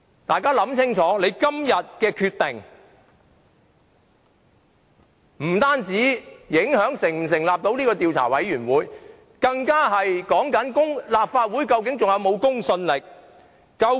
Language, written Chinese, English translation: Cantonese, 大家要想清楚，今天的決定不單會影響立法會能否成立調查委員會，更關乎究竟立法會是否仍有公信力。, Members must think carefully the decision that we are going to make today does not only relate to whether an investigation committee will be formed under the Legislative Council but also the credibility of this Council